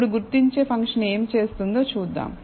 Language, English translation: Telugu, Now, let us see what identify function does